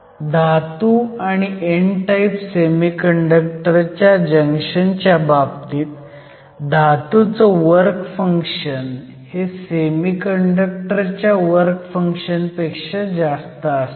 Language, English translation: Marathi, So, if you have a metal and an n type semi conductor junction, we have the work function of the metal greater than the work function of the semiconductor